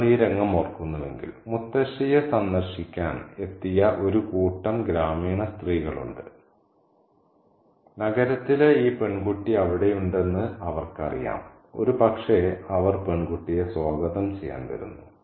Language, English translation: Malayalam, If you remember the scene, we have a group of village women who have come to visit Mutasi because they know that this girl from the city is there and probably they are coming by to welcome the girl